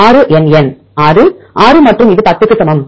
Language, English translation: Tamil, 6 NN 6, 6 and this is equal to 10